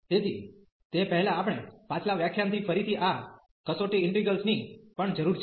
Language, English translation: Gujarati, So, before that we also need these test integrals again from the previous lecture